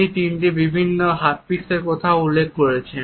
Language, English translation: Bengali, He has also referred to three different types of haptics